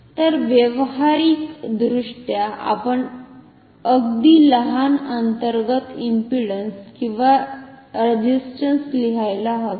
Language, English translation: Marathi, So, practically we should write very small internal impedance or resistance